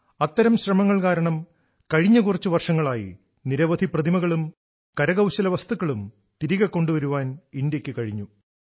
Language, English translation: Malayalam, Because of such efforts, India has been successful in bringing back lots of such idols and artifacts in the past few years